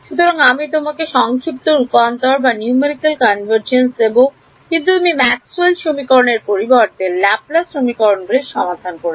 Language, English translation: Bengali, So, it will give you numerical convergence, but you have solved Laplace equations, instead of Maxwell’s equations equation